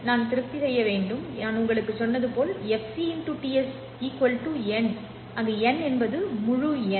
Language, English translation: Tamil, I need to satisfy as I told you fc into t s must be equal to n where n is any integer